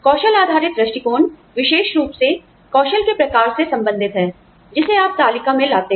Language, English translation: Hindi, Skill based approach deals specifically with, the kinds of skills, you bring to the table